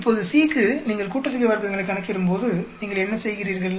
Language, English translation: Tamil, Now for C, when you are calculating sum of squares, what do you do